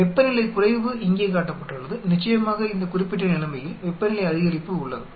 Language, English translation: Tamil, The temperature decrease is shown here, of course in this particular case there is a temperature increase